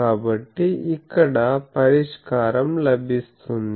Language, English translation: Telugu, So, solution is obtained here